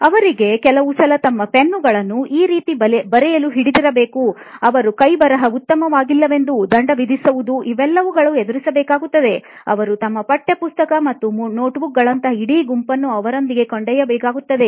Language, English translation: Kannada, But at school they face that they still have to write and hold their pens like this, they are penalized if their handwriting is not good, they have to carry a whole bunch of things with them like textbooks and notebooks